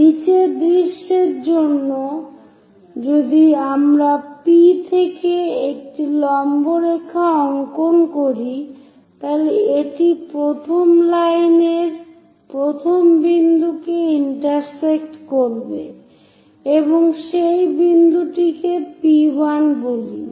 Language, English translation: Bengali, For the bottom also bottom view from P if we are dropping a perpendicular line is going to intersect the first line at this point locate that first point P1